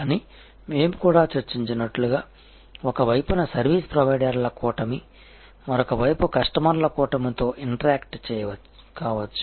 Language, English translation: Telugu, But, as we also discussed, that there can be a constellation of service providers on one side interacting with a constellation of customers on the other side